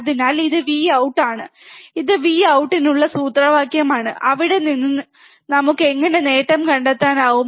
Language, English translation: Malayalam, So, this is V out, right this is formula for V out, from there how can we find the gain